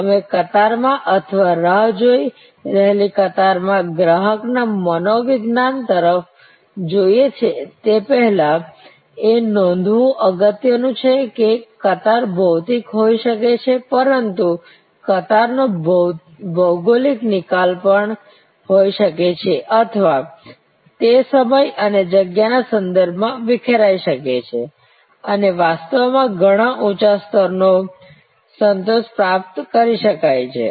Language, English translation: Gujarati, Before we move to the customer psychology in the queue or waiting line, consumer behavior in the waiting line, it is important to note that queues can be physical, but queues can also be geographical disposed and there is a or it can be dispersed in time and space and thereby actually a much higher level of satisfaction can be achieved